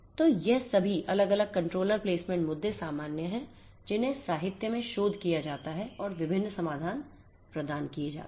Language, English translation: Hindi, So, all of these different controller placement issues are the common ones that are researched in the literature and different different solutions are provided